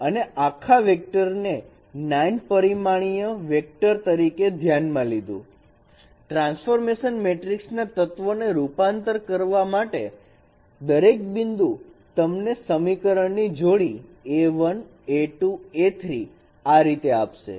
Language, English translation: Gujarati, We consider the whole vector as a 9 dimensional vector forming the elements of transformation matrix and each point will give you a pair of no equations A 1, A 2, A 3, those are the rows corresponding to equations